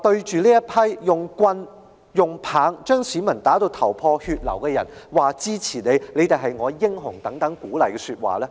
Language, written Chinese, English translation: Cantonese, 是誰向使用棍棒把市民打至頭破血流的人高聲說出"支持你"及"你們是我的英雄"等鼓勵的說話呢？, Who was the person who shouted such words of encouragement as I support you and You are my heroes to those who had bloodied civilians with rods and poles? . It was not Mr LAM Cheuk - ting